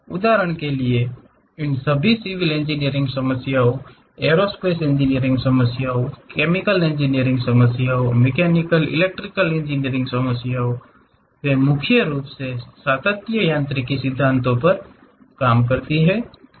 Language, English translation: Hindi, For example: all these civil engineering problem, aerospace engineering problem, chemical engineering, mechanical, electrical engineering; they mainly work on continuum mechanics principles